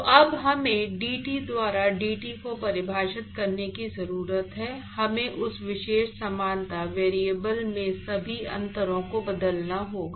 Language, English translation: Hindi, So now we need to define dT by dt we have to transform all the differentials in that particular similarity variable